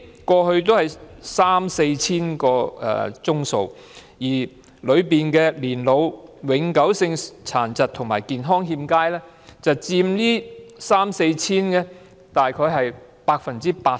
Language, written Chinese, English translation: Cantonese, 過去的數字為三四千宗，當中年老、永久性殘疾及健康欠佳人士佔大約 80%。, The figure was three to four thousands in the past of which 80 % were elderly people people with permanent disabilities and in ill health